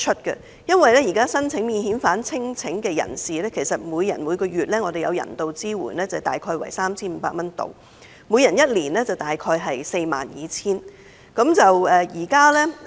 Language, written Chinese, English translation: Cantonese, 現時申請免遣返聲請的人士，每人每月可獲人道支援約 3,500 元 ，1 年即約 42,000 元。, Currently each applicant of a non - refoulement claim will receive a monthly humanitarian assistance of about 3,500 which is 42,000 per annum